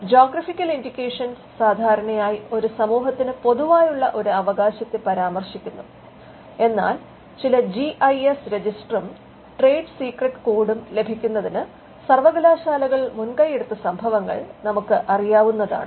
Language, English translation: Malayalam, Geographical indications usually referred to a write that is in common to a community, but we know instances where the universities have taken initiative in getting certain GIS register and trade secret code also come out of university work